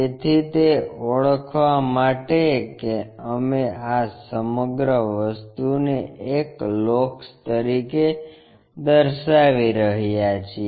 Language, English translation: Gujarati, So, for that to identify that we we are locating this entire thing as a locus